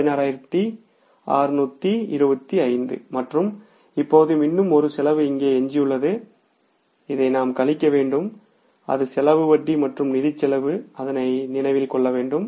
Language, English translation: Tamil, 16,625 and now one more expenses left here which has we have to subtract is that expense is if you recall that expenses for the interest expense financial expense